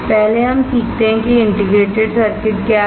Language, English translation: Hindi, First we learn what is an integrated circuit